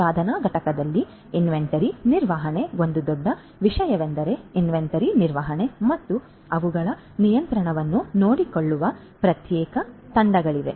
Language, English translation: Kannada, Inventory management is a huge thing in manufacturing plants is a huge thing there are separate teams which take care of inventory management and their control